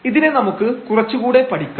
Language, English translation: Malayalam, Let us explore this little bit more